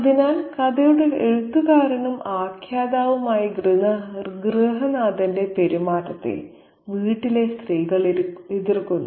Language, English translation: Malayalam, So, the women of the household object to the behavior of the head of the household, who is the writer, narrator of the story